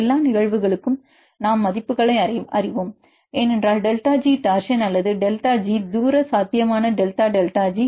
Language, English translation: Tamil, For all the cases we know the values because we know the delta G torsion or delta G, the distance potential delta delta G we know